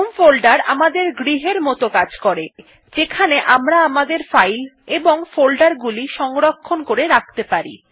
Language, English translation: Bengali, We can say that the home folder is our house where we can store our files and folders